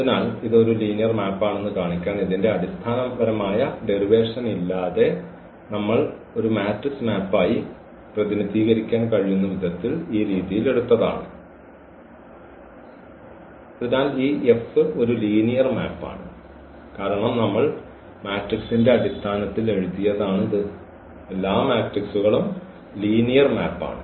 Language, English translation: Malayalam, So, without that fundamental derivation of this to show that this is a linear map we have taken this way that this we can represent as a matrix map and therefore, this F is a linear map because we have written in terms of the matrix and matrixes are linear map